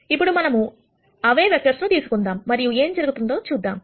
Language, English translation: Telugu, Now, let us take the same vectors and then see what happens